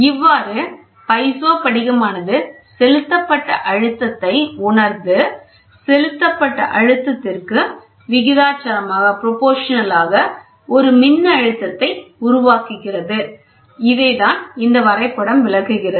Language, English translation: Tamil, Thus, the piezo crystal senses the applied pressure and generates a voltage proportional to the applied pressure so, this is what is a diagram we saw here